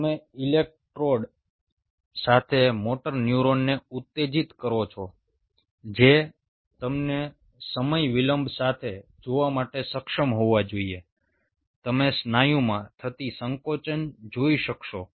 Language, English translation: Gujarati, you stimulate the motor neuron with an electrode you should be able to see, with a time delay, you should be able to see a contraction taking place in the muscle